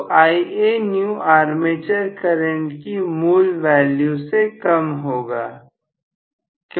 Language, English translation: Hindi, So, Ianew will be less than the original value of armature current